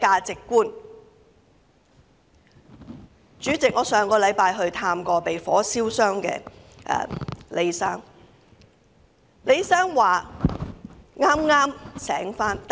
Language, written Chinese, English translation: Cantonese, 主席，我上星期曾探望被火燒傷的李先生。, President last week I visited Mr LEE who got burnt in the incident